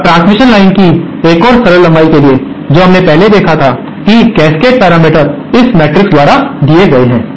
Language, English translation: Hindi, Now for a simple length of transmission line which we had earlier seen that the cascade parameters are given by this matrix